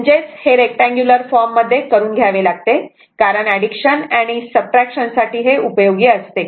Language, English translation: Marathi, This is a rectangular form this form because for that addition and subtraction will be helpful, right